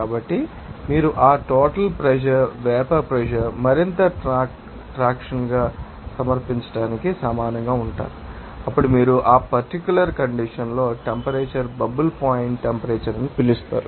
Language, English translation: Telugu, So, that if you are getting that total pressure will be equal to the submission of vapor pressure into more traction, then you can say that at that particular condition, the you know that temperature will be you know that is called bubble point temperature